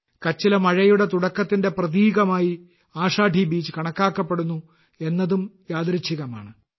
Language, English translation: Malayalam, It is also a coincidence that Ashadhi Beej is considered a symbol of the onset of rains in Kutch